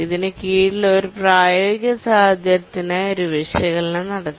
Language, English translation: Malayalam, So under that we can do an analysis for a practical situation